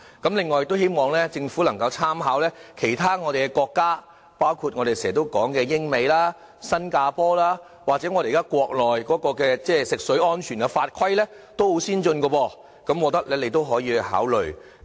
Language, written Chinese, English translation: Cantonese, 同時，也希望政府能夠參考其他國家的做法，包括我們經常提到的英國、美國、新加坡，國內現時食水安全的法規也很先進，我認為你們均可考慮。, Meanwhile I also call on the Government to draw on the experience of other countries including the United Kingdom the United States and Singapore which we have frequently mentioned . Indeed in the Mainland the rules and regulations governing the drinking water safety are also very advanced . I think the Government can consider studying their practices